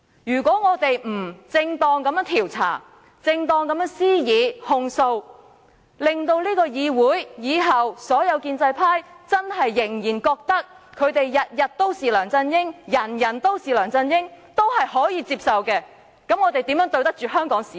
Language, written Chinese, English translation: Cantonese, 如果我們不正當地調查，正當地施以控訴，而是認為本議會往後所有建制派議員繼續覺得他們"天天都是梁振英，人人都是梁振英"仍可接受，我們還怎對得起香港市民？, If we do not conduct a proper inquiry and make a proper accusation and accept the fact that pro - establishment Members can continue to be props of LEUNG Chun - ying all the time are we doing justice to the people?